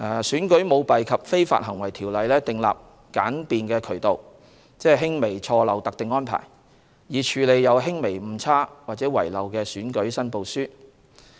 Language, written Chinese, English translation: Cantonese, 《選舉條例》訂立簡便渠道，即輕微錯漏特定安排，以處理有輕微誤差或遺漏的選舉申報書。, ECICO provides for a simplified relief mechanism ie de minimis arrangement for handling election returns with minor errors or omissions